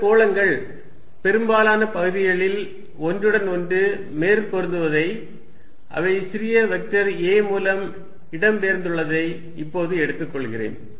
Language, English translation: Tamil, Let me now take these spheres to be overlapping over most of the regions and they are displaced by small vector a, these are the centres